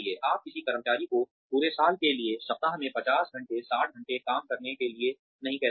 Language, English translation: Hindi, You cannot, ask an employee to work for, say 50 hours, 60 hours a week, for a full year